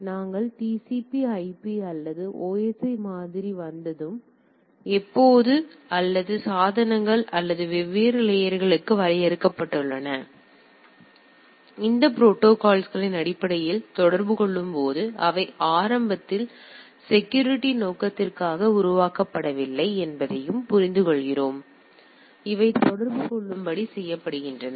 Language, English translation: Tamil, So, and as also we understand that when we the TCP/IP or OSI model came up and when or the devices or which are communicating based on these protocols which are defined for different layers, they are not initially made for security purpose right; they are made to communicate